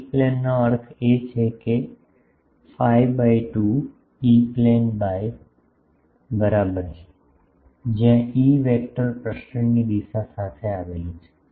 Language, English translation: Gujarati, E plane means phi is equal to pi by 2, E plane, where the E vector lies with the propagation direction